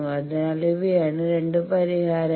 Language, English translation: Malayalam, So, these are the 2 solutions